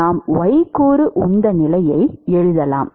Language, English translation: Tamil, So, that is the y component momentum balance